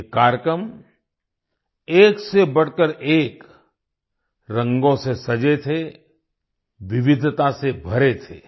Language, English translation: Hindi, These programs were adorned with a spectrum of colours… were full of diversity